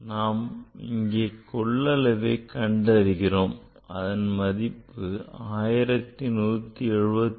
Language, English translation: Tamil, And you are calculating the volume and say result is coming 1174